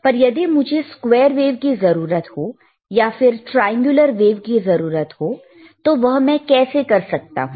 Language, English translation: Hindi, bBut what if I want to get square wave, what if I want to get triangular wave, how can I get this